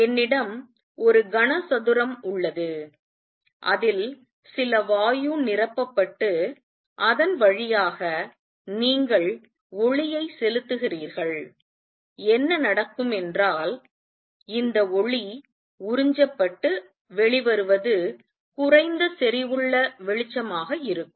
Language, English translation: Tamil, Suppose I have a cube in which some gas is filled and you pass light through it; what would happen is this light will be get absorbed and what comes out will be light of lower intensity